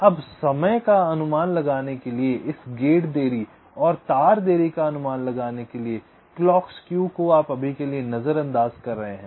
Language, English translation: Hindi, ok, now to estimate the timing, to estimate this gate delays and wire delays clock skew you are ignoring for time being